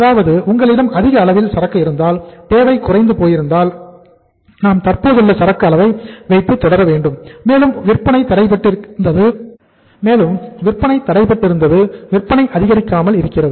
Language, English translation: Tamil, That you have huge inventory, demand has gone down, and we have to continue with the existing level of inventory and your sales are blocked, sales are not picking up